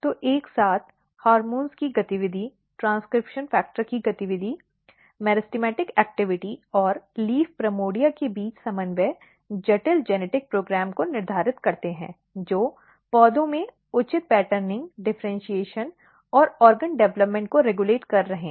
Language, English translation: Hindi, So, all together activity of hormones activity of transcription factors the coordination between meristematic activity and the leaf primordia set complex genetic program which is regulating proper patterning, proper differentiation and proper organ development in plants